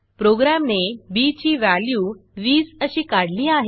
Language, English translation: Marathi, You can see that it has computed the value of b, as 20